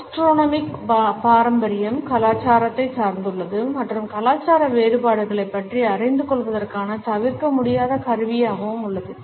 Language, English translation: Tamil, Gastronomic tradition is dependent on culture and it is an unavoidable tool for learning about cultural differences